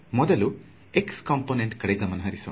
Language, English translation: Kannada, So, let us just look at the x component first ok